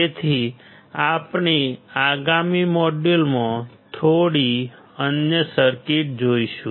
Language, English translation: Gujarati, So, we will see few other circuits in the next module